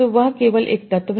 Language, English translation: Hindi, So, that is only one element